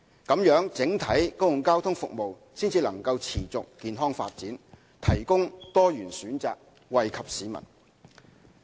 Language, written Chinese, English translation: Cantonese, 這樣，整體公共交通服務才能持續健康發展，提供多元選擇，惠及市民。, In this way the overall public transport services can develop in a sustainable and healthy manner and diversified choices can be provided to benefit the community